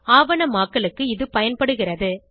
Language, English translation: Tamil, It is useful for documentation